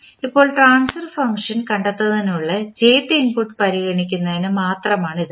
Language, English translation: Malayalam, Now, this is only for considering the jth input in finding out the transfer function